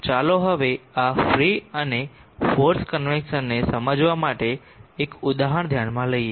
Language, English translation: Gujarati, Let us now consider an example to crystallize our understanding of this free and forced convection